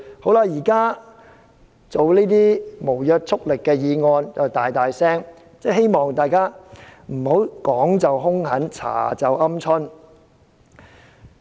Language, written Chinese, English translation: Cantonese, 現時辯論這項無約束力的議案，大家卻高聲批評，希望大家不要說時兇狠，調查時"鵪鶉"。, Now while we are debating this non - binding motion Members criticized loudly but I hope Members will unleash strong verbal criticism only and turn cowardly when it comes to investigation